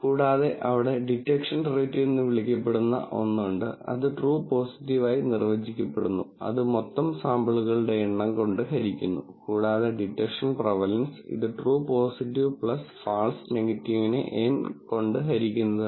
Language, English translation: Malayalam, Then there is something called a detection rate, which is defined as true positives divided by total number of samples and detection prevalence, which is true positive plus false positive divided by N